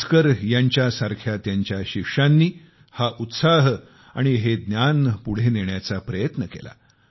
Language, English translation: Marathi, His disciples like Bhaskara, strived hard to further this spirit of inquiry and knowledge